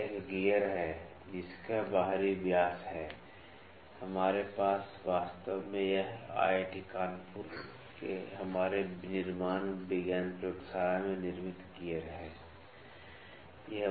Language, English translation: Hindi, This is a gear, which is having outer dia, that we have this is actually gear manufactured in our manufacturing science lab in IIT Kanpur only